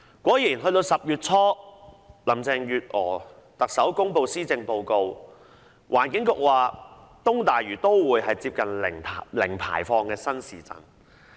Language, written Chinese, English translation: Cantonese, 果然10月初特首林鄭月娥公布施政報告，環境局說東大嶼都會是接近零排放的新市鎮。, Sure enough while Chief Executive Carrie LAM announced her Policy Address in early October the Environment Bureau claimed that the East Lantau Metropolis will be a new town with nearly zero emission